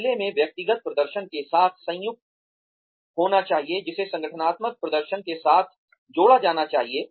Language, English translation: Hindi, Which in turn, needs to be combined with, individual performance, which should be aligned with organizational performance